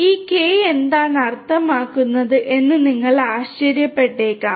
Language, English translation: Malayalam, You might be wondering that what is this K means all about